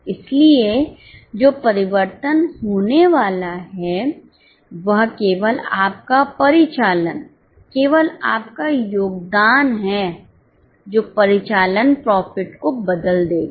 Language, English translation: Hindi, So, what is going to change is only your contribution which will change the operating profit